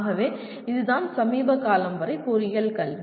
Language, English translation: Tamil, So this is what is the engineering education until recently